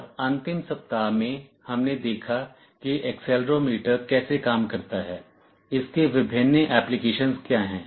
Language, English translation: Hindi, And in the last week, we saw how an accelerometer works, what are its various applications